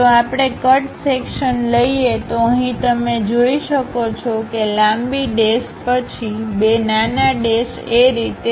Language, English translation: Gujarati, If we are taking a cut section; here you can see, long dash followed by two small dashes and so on